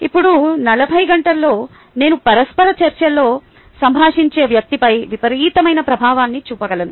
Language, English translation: Telugu, now, in forty hours, i can make a tremendous impact on an individual with whom i am interacting